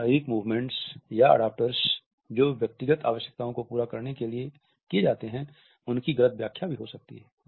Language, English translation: Hindi, Many movements or adaptors that function to satisfy personal needs maybe misinterpreted